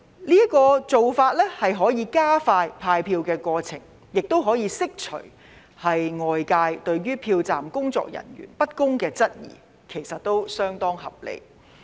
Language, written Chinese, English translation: Cantonese, 這個做法可以加快派票過程，亦可以釋除外界對票站工作人員不公的質疑，其實是相當合理的。, This approach can speed up the distribution of ballot paper and also dispel the doubts of the public about unfairness of polling staff . In fact it is rather reasonable